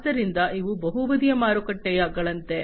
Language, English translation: Kannada, So, these are like multi sided markets